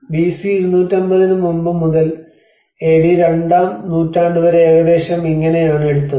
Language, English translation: Malayalam, So, this is how it took almost about from pre 250 BC onwards till the 2nd century AD